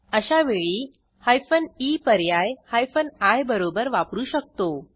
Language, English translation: Marathi, In such cases we can use hyphen e option with hyphen i